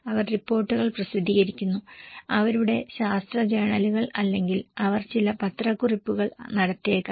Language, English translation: Malayalam, They publish reports, their scientific journals or maybe they do some press release